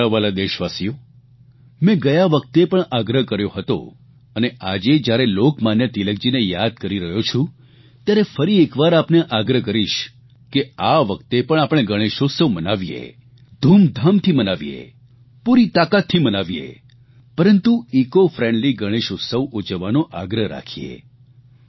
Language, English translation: Gujarati, I had requested last time too and now, while remembering Lokmanya Tilak, I will once again urge all of you to celebrate Ganesh Utsav with great enthusiasm and fervour whole heartedly but insist on keeping these celebrations ecofriendly